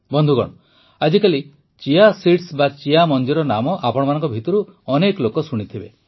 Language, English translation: Odia, nowadays you must be hearing a lot, the name of Chia seeds